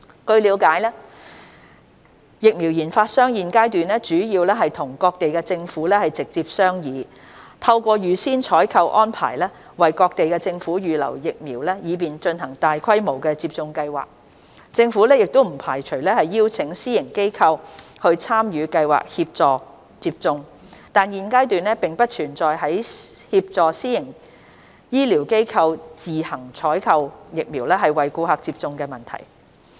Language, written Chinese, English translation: Cantonese, 據了解，疫苗研發商現階段主要與各地政府直接商議，透過預先採購安排為各地政府預留疫苗以便進行大規模接種計劃，政府不排除邀請私營醫療機構參與計劃協助接種，但現階段並不存在協助私營醫療機構自行採購疫苗為顧客接種的問題。, Our understanding is that as of now vaccine developers are mainly in direct negotiation with various Governments with a view to reserving vaccines for them through advance purchase arrangements so as to support large scale vaccination programmes . While we do not rule out inviting private healthcare organizations to participate in the programme to help with vaccination we do not see the need of helping private healthcare organizations procure vaccines on their own to serve their clients at this stage